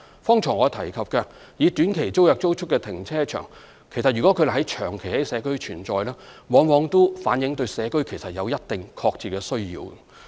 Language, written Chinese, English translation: Cantonese, 剛才我提及以短期租約租出的停車場，如它們長期在社區存在，往往也反映出社區對此有一定的確切需要。, Take car parks operating under short - term tenancies I mentioned just now as examples . If the community has been provided with such facilities for a long time these are to a certain extent community facilities that the public genuinely need